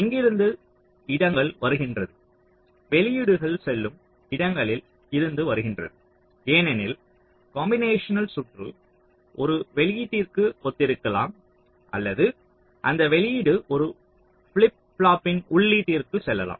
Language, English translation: Tamil, the places from where a, the places into which the outputs are going, because whenever your combination circuit, so you either correspond to an output or that output can go to an input of a flip flop